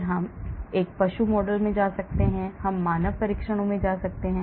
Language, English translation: Hindi, Then I may go to animal models, then I may go to human trials